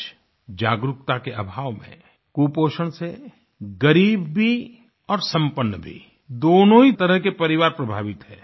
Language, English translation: Hindi, Today, due to lack of awareness, both poor and affluent families are affected by malnutrition